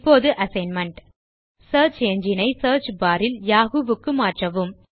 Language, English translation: Tamil, Change the search engine in the search bar to Yahoo